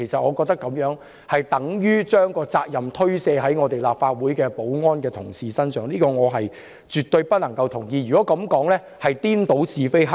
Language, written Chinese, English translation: Cantonese, 我覺得這樣等於把責任推卸至立法會保安人員身上，這點我絕對不能認同，因為這是顛倒是非黑白。, I think this is tantamount to shirking the responsibility onto the security officers of the Legislative Council . I absolutely do not agree with this because this is confounding right with wrong